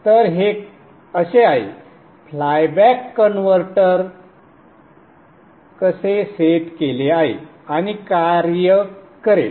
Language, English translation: Marathi, So this is the this is how the flyback converter is set up and will operate